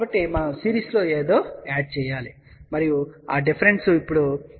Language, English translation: Telugu, So, we add something in series and that difference will be now equal to minus j 0